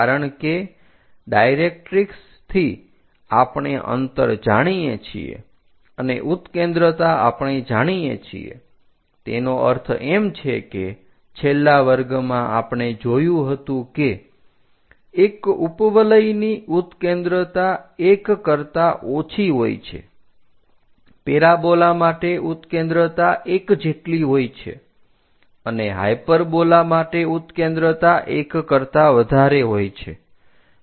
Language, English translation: Gujarati, And, especially focus directrix method is quite popular: one because from directrix we know the distance and eccentricity we know; that means, in the last classes we have seen an ellipse is having eccentricity less than 1, parabola is for parabola eccentricity is equal to 1 and for hyperbola eccentricity is greater than 1